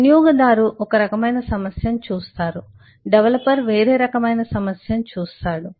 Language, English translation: Telugu, the user sees one kind of a problem, the developer sees a different kind of a problem